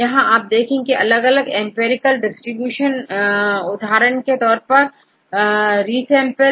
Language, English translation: Hindi, See how we do various empirical distribution for example, you can resample